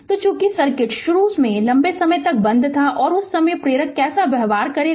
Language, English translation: Hindi, So, as as the circuit initially was closed for a long time and and at that time your how the inductor will behave right